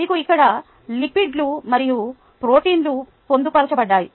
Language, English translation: Telugu, you have what are called lipids that i hear and proteins embedded